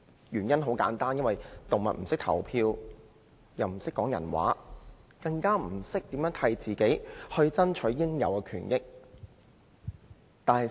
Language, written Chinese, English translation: Cantonese, 原因很簡單，動物不懂得投票，亦不懂得說人話，更不懂得為自己爭取應有的權益。, The reason is very simple . Animals cannot vote or speak the human language not to mention striving for their entitled rights and interests